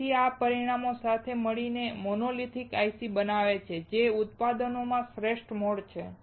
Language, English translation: Gujarati, So, these parameters together make monolithic ICs are the best mode of manufacturing